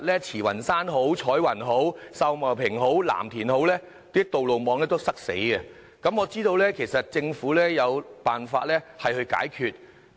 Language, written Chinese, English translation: Cantonese, 慈雲山、彩雲、秀茂坪或藍田的道路網每天都非常擠塞，但我知道政府其實有辦法解決。, The road networks in Tsz Wan Shan Choi Wan Sau Mau Ping and Lam Tin are very congested every day . Yet I know the Government should be able to solve this traffic problem